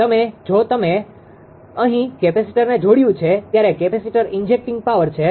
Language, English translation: Gujarati, Now if if you have connected a capacitor here; there is capacitor injecting power